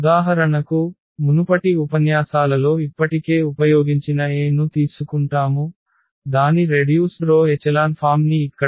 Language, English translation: Telugu, So, for instance we take this A, which was already used in previous lectures we have also seen its row reduced echelon form which is given here again